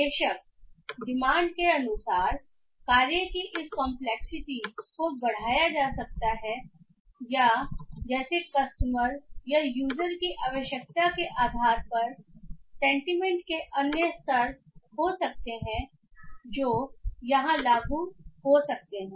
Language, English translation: Hindi, Of course as as per the demands this complexity of the task can be increased or like depending on the requirement from the customer or the user there might be other levels of sentiment that might be applied here